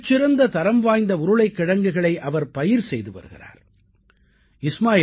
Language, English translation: Tamil, He is growing potatoes that are of very high quality